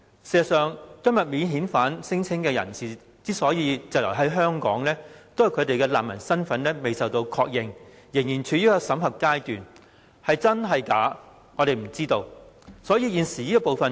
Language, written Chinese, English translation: Cantonese, 事實上，提出免遣返聲請的人士滯留香港，是因為他們的難民身份仍在審核，未獲確認，我們不知道他們究竟是否真難民。, In fact non - refoulement claimants are stranded in Hong Kong because their refugee status is still being verified and unconfirmed . We do not know whether they are genuine refugees or not